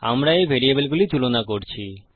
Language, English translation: Bengali, We are comparing these variables